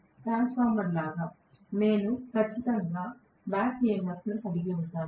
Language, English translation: Telugu, Like a transformer, I will definitely have back EMF